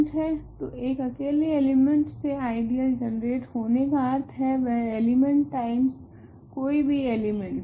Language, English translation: Hindi, So, an ideal generated by a single element is by definition that element times any element